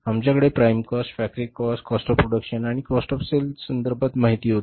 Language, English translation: Marathi, We calculate the prime cost, we calculate the factory cost, we calculate the cost of production and we calculate the cost of sales